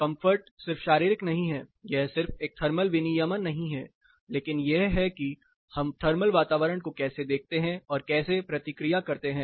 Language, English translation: Hindi, Comfort is not just physiological it is not a thermal regulation, but how we perceive and react to the thermal environment